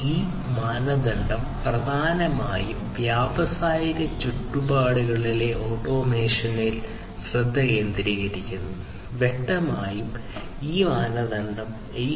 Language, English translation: Malayalam, So, this standard primarily focuses on automation in industrial environments and obviously, this standard, it is based on 802